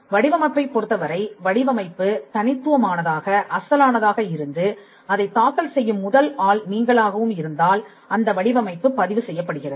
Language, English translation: Tamil, Design again the design looks unique it is original and you are the first person to file that design it gets a registration